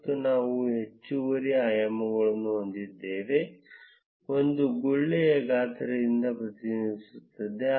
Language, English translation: Kannada, And we have an additional dimension which is represented by the size of the bubble